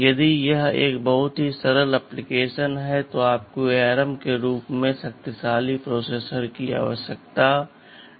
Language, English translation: Hindi, If it is a very simple application you do not need a processor as powerful as ARM